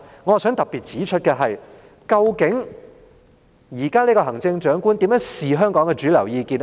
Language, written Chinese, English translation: Cantonese, 我想特別指出的是，究竟現任行政長官如何看香港的主流意見呢？, I wish to point out in particular one point . What does the incumbent Chief Executive think about the mainstream opinion in Hong Kong?